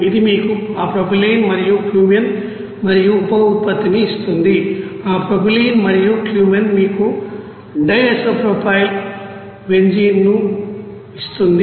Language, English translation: Telugu, And which will give you Cumene and byproduct with that propylene and Cumene will give you that di isopropyl benzene